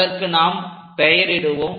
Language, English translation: Tamil, So, let us name this